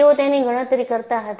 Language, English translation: Gujarati, They were calculating